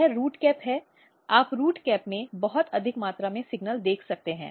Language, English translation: Hindi, So, this is the cap root cap so, you can see very high amount of signal root cap